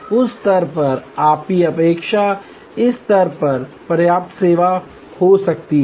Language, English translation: Hindi, At that stage may be your expectation is at this level adequate service